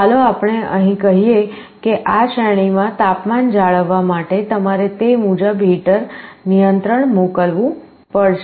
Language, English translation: Gujarati, Let us say here, to maintain the temperature within this range, you have to send the heater control accordingly